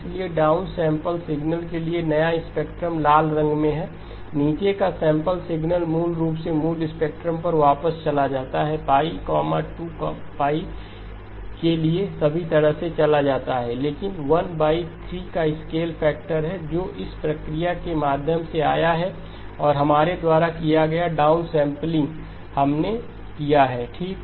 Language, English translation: Hindi, So the new spectrum for the down sample signal draw that in red, down sample signal basically goes back to the original spectrum goes all the way to pi, 2pi but there is a scale factor of 1 divided by 3 which came in through the process of the downsampling that we have done, we have incurred okay